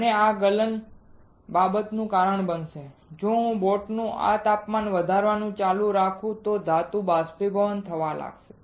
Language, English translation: Gujarati, And this melting will cause the matter if I keep on increasing this temperature of the boat the metal will start evaporating